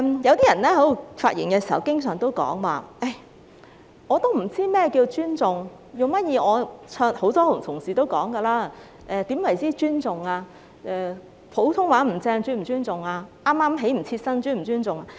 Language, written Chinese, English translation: Cantonese, 有些人發言時經常說"我不知道怎樣才算尊重"，很多同事都問何謂不尊重，普通話說得不標準是否不尊重？, Some people often say I do not know what would be regarded as respect when giving their speeches . Many Honourable colleagues have also asked what disrespect is . Is it disrespectful if someone cannot speak standard Putonghua?